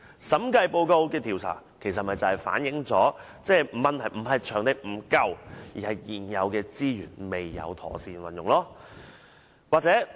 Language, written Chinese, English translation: Cantonese, 審計報告的調查，正正反映出問題並非場地不足，而是現有資源未有妥善運用。, The surveys conducted in the Audit Reports precisely show that the problem lies not in having inadequate venues but in the improper use of existing resources